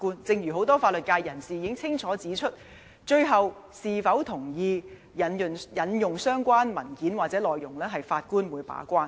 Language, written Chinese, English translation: Cantonese, 正如很多法律界人士已經清楚指出，最後是否同意引用相關文件或內容將會由法官把關。, As many people from the legal sector have clearly pointed out whether the documents or the contents of which will be adduced will eventually be decided by the Judge